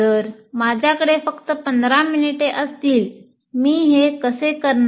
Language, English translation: Marathi, And whether if I have only 15 minutes, how do I go about doing it